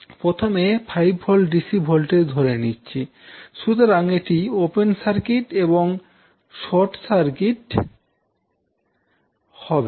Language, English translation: Bengali, First, let us take the DC voltage 5 Volt so this will be open circuited, this will be short circuited